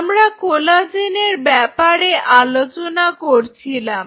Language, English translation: Bengali, Now, coming back so, we talked about the collagen